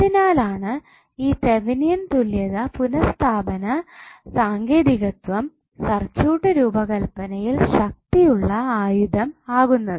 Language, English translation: Malayalam, So that is why this Thevenin equivalent replacement technique is very powerful tool in our circuit design